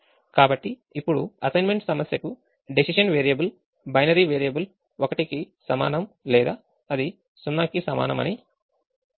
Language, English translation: Telugu, so we said the decision variable to the assignment problem at this point is a binary decision: its equal to one or it is equal to zero